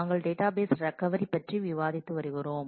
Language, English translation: Tamil, We have been discussing about Database Recovery